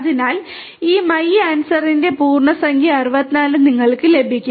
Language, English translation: Malayalam, So, you get integer 64 which is the type of this my answer